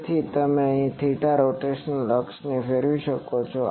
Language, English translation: Gujarati, So, here it can rotate theta rotational axis